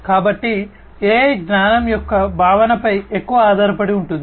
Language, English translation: Telugu, So, AI is heavily based on the concept of knowledge